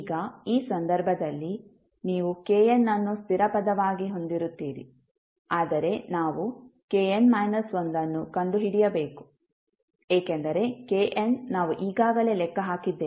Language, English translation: Kannada, Now, in this case, you will have k n as a constant term, but we need to find out k n minus 1 because k n we have already calculated